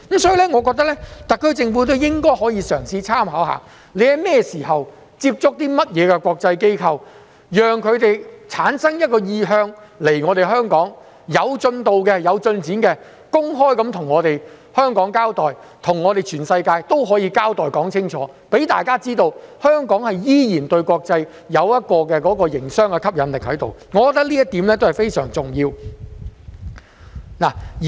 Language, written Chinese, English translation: Cantonese, 所以，我認為特區政府也應該嘗試參考，不論它在甚麼時間接觸了甚麼國際機構，讓它們產生意向前來香港，當有進度及進展時，便應該公開向香港交代，向全世界也交代清楚，讓大家知道香港依然對國際有着營商吸引力，我認為這一點便是相當重要的。, For that reason I think that the SAR Government should make reference to Singapore in this respect . Whenever our Government has approached international firms about their intention to set up operations in Hong Kong as long as there is some progress the Government should let the public know so that everyone knows that Hong Kong is still attractive to the international business community